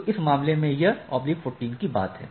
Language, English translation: Hindi, So, in this case that slash 14 is the thing